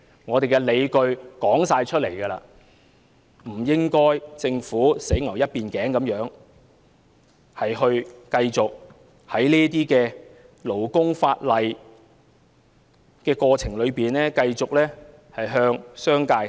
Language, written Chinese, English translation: Cantonese, 我們既已拿出理據，政府便不應該一意孤行，繼續在這些勞工法例上偏袒商界。, With the justifications we have set out the Government should stop acting wilfully and stop favouring the business sector in its labour legislation